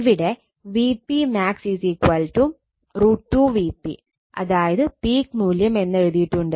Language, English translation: Malayalam, It is written here V p max is equal to root 2 V p peak value right